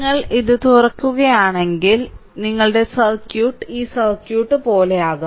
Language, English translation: Malayalam, So, if you open it your circuit will be like this circuit will be like this